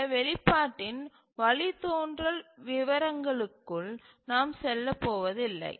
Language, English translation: Tamil, I will not go into the details of the derivation of this expression